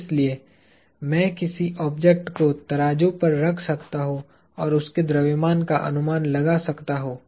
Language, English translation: Hindi, So, I can place an object on a weighing pan and get an estimate of its mass